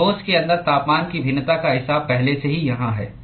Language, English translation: Hindi, So, the variation of temperature inside the solid is already accounted for here